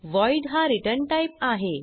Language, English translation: Marathi, And the return type is void